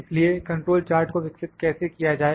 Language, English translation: Hindi, So, how to develop the control charts